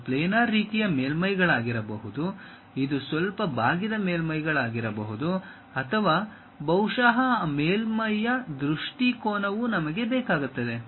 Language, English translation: Kannada, It might be a planar kind of surfaces, it might be slightly curved kind of surfaces or perhaps the orientation of that surface also we require